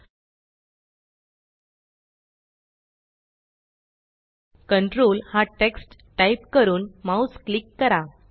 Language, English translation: Marathi, Let us now type the text Control and click the mouse